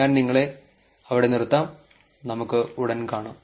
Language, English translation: Malayalam, I will leave you there and I will see you soon